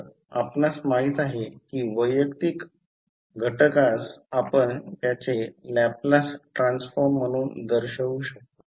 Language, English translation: Marathi, So, you know that individual components you can represent as their Laplace transform